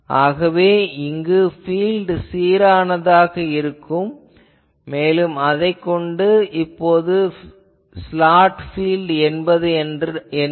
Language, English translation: Tamil, So, we can say that the field that will be uniform and so that will now discuss that what is the slot field